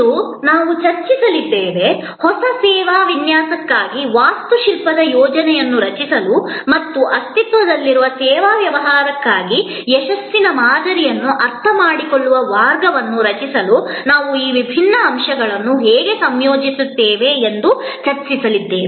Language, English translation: Kannada, Today, we are going to discuss, how do we combine these different elements to create an architectural plan for a new service design or a way of understanding the success model for an existing service business